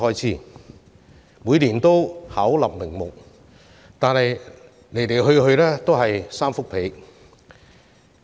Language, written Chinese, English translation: Cantonese, 雖然他們每年巧立名目，但其實來來去去也是"三幅被"。, Though they concoct various pretexts the reasons for the reductions are actually the same year after year